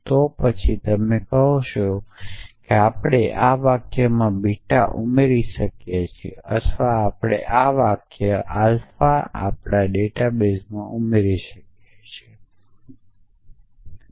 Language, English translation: Gujarati, Then you say we can add this say sentence beta or we can add this new sentence alpha to our data base